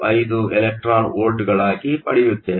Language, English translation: Kannada, 335 electron volts